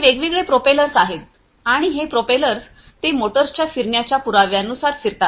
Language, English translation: Marathi, So, these are these different propellers and these propellers they rotate by virtue of the rotation of the motors